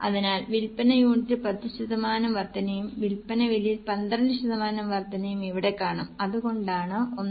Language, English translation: Malayalam, So, you can see here there is an increase in sale unit by 10% and increase in the price by 12%